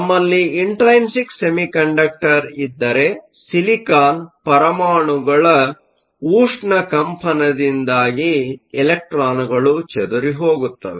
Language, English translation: Kannada, If we have an intrinsic semiconductor then the electrons will scatter because of the thermal vibration of the silicon atoms